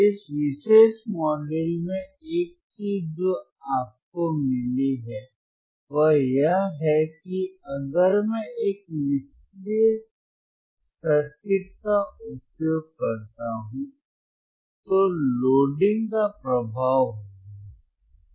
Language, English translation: Hindi, The one thing that you got in this particular module is that, if I use a passive circuit, passive circuit then there will be a effect of Loading